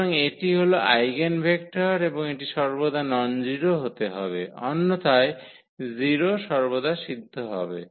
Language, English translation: Bengali, So, this is the eigenvector and this has to be always nonzero otherwise, the 0 will be satisfied always